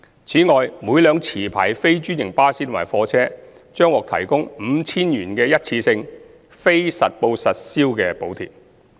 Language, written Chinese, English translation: Cantonese, 此外，每輛持牌非專營巴士及貨車將獲提供 5,000 元的一次性非實報實銷補貼。, In addition every licensed non - franchised bus and goods vehicle will receive a one - off non - accountable subsidy of 5,000